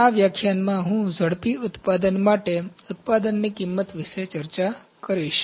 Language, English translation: Gujarati, In this lecture, I will discuss about the Product costing for Rapid Manufacturing